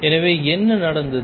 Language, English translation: Tamil, So, what does happened